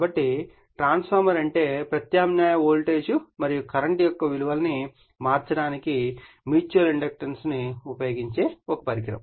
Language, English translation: Telugu, So, that means, therefore, the transformer is a device which uses the phenomenon of mutual inductance mutual induction to change the values of alternating voltage and current right